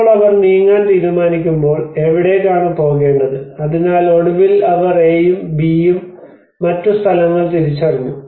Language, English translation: Malayalam, Now when they start deciding to move, where to move, so finally they have identified another place A and place B